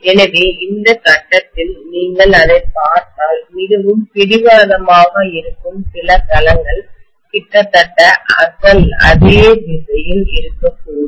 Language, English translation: Tamil, So at this point if you look at it, some of the domains which are more obstinate, they are probably going to stay in the original direction